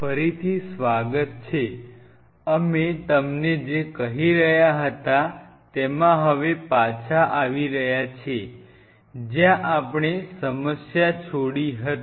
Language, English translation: Gujarati, Welcome back, what we are telling you is now coming back where we left the problem